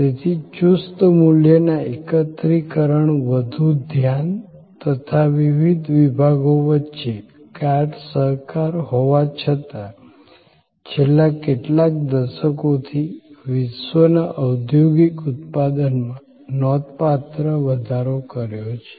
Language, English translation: Gujarati, So, the focus was on tighter value integration, closer cooperation among the various departments, but it still, it increased worlds industrial output significantly over the last few decades